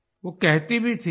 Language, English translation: Hindi, She also used to say